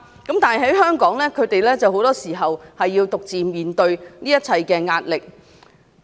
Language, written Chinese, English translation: Cantonese, 但是，在香港他們很多時候要獨自面對這一切壓力。, But the patients and their families in Hong Kong often have to face the pressure alone